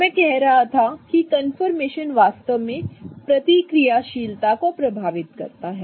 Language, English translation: Hindi, So, I was saying confirmation really affects reactivity, right